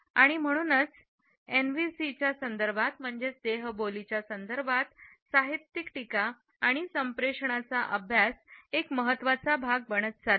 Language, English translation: Marathi, And therefore, it is increasingly becoming a part of literary criticism and communication studies in the context of NVCs